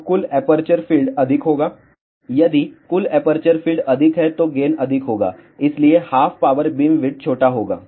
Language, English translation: Hindi, So, total aperture area will be more and if the total aperture area is more gain will be more and hence half power beamwidth will be small